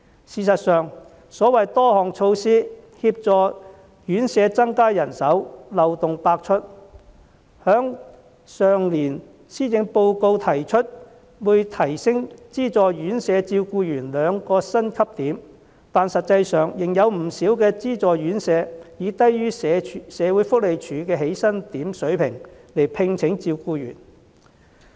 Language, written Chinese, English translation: Cantonese, 事實上，所謂多項協助院舍增加人手，漏洞百出；例如去年的施政報告提出會提升資助院舍照顧員兩個薪級點，但實際上，仍然有不少資助院舍以低於社會福利署的起薪點水平來聘請照顧員。, In fact the various measures for increasing manpower in RCHEs are full of loopholes . For instance the Policy Address last year mentioned that the salaries of carers in these subsidized RCHEs would be increased by two pay points . But in reality many subsidized RCHEs are still employing carers at a level below the starting salary point set by the Social Welfare Department